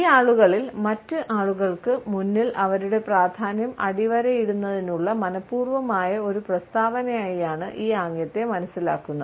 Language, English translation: Malayalam, In these people, we find that it is a deliberate statement to underscore their significance in front of other people